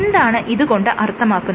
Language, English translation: Malayalam, So, what do we mean by that